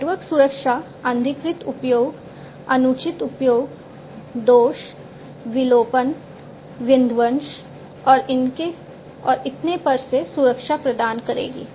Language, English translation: Hindi, So, network security would provide protection from unauthorized access, improper use, fault, deletion, demolition, and so on